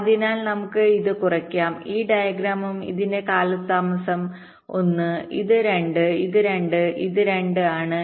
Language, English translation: Malayalam, so let us note this down and this diagram also: the delay of this is one, this is two, this is two and this is two